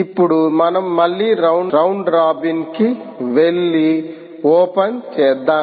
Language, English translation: Telugu, so now we go for round robin, open again